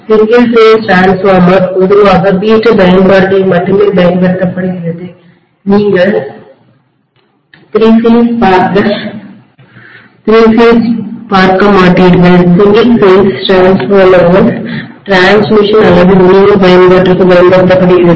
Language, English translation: Tamil, Single phase transformer is commonly used only in domestic applications hardly ever you would see the three, the single phase transformer in transmission or distribution application